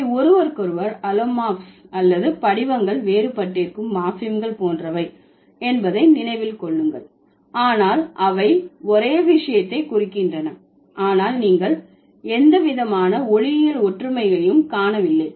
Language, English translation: Tamil, Just remember they are allomorphs to each other or the similar, the morphims which where the forms are different but they indicate the same thing but you don't see any kind of phonological similarity